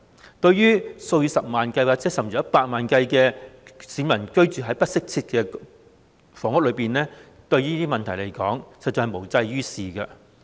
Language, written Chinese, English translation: Cantonese, 相對於數以十萬，甚至百萬計居於不適切房屋的市民而言，實在無濟於事。, Compared with the several hundreds of thousands or even a million of people who are living in inadequate housing it would not in any way be useful